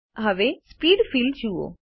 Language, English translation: Gujarati, Look at the Speed field now